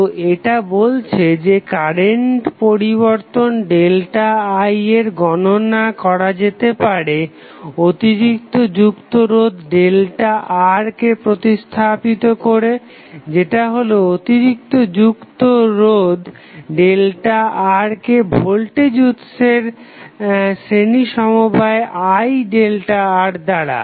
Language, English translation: Bengali, So, it says that calculation of current change delta I in this circuit may be carried out by replacing the added resistance delta R, that is the added resistance delta R by a series combination of voltage source I into delta R